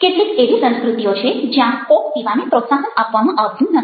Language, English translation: Gujarati, there are certain cultures, ah, where coke is probably not encouraged